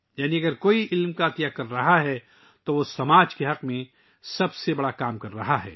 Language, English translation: Urdu, That is, if someone is donating knowledge, then he is doing the noblest work in the interest of the society